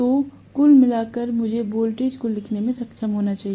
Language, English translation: Hindi, So overall, I should be able to write the voltage as E equal to 4